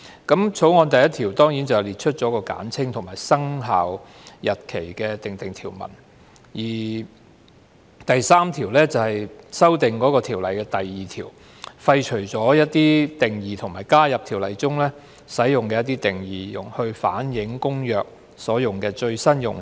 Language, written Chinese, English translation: Cantonese, 《條例草案》第1條列出簡稱，並就生效日期訂定條文，而《條例草案》第3條修訂《運貨貨櫃條例》第2條，廢除一些定義，並加入《條例》中使用的一些定義，以反映《公約》所用的最新用詞。, Clause 1 of the Bill sets out the short title and provides for commencement . Clause 3 of the Bill amends section 2 of the Freight Containers Safety Ordinance to repeal certain definitions and add new definitions in the Ordinance to reflect the latest terms adopted in the Convention